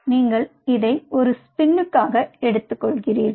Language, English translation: Tamil, you take this for a spin, spin it down